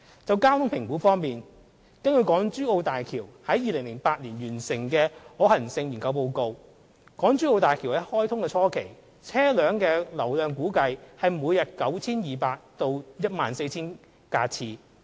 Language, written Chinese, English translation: Cantonese, 就交通評估方面，根據港珠澳大橋項目於2008年完成的可行性研究報告，港珠澳大橋於開通初期，車流量估計為每日 9,200 架次至 14,000 架次。, As regards traffic assessment according to the feasibility study report completed in 2008 on the HZMB project the daily vehicular throughput at the initial stage of commissioning of HZMB is estimated to be 9 200 to 12 000 vehicle trips